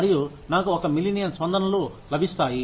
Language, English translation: Telugu, And, I get, maybe 1 million responses